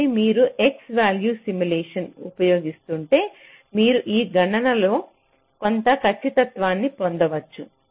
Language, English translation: Telugu, so if you are using x value simulation, you can get some accuracy in this calculation, right